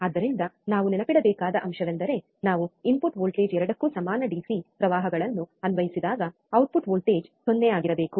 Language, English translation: Kannada, So, the point that we have to remember is, when we apply equal DC currents to the input voltage to both the input voltage, right